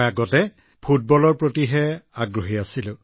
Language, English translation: Assamese, Earlier we were more into Football